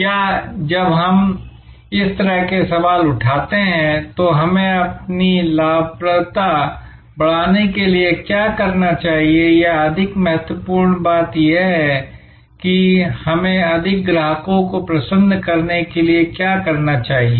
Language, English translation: Hindi, Or when we raise such questions like, what should we do to increase our profitability or more importantly what should we do to delight more customers